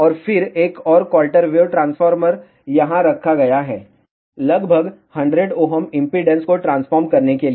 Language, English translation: Hindi, And, then another quarter wave transformer has been placed over here to transform this impedance to about 100 ohm